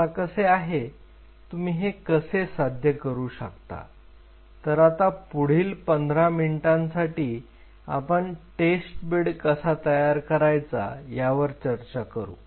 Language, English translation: Marathi, Now, comes how, how you achieve it and this is what we are going to discuss now for next fifteen minutes how you can create such a test bed